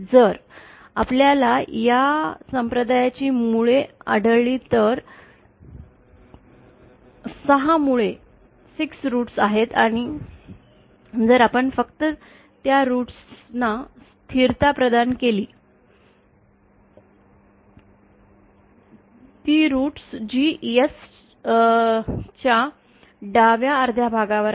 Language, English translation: Marathi, If we find out the roots of this denominator, then there are 6 roots and if we select only those roots that provide the stable, that is those roots that lie on the left half of the S plane